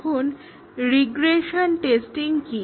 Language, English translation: Bengali, Now, what about regression testing